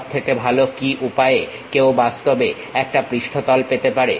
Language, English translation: Bengali, What is the best way one can really have that surface